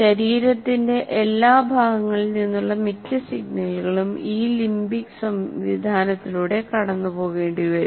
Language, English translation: Malayalam, See, most of the signals will have to, from the body or from every other point, it will have to go through this limbic system